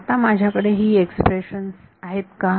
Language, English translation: Marathi, Now, do I have these expressions with me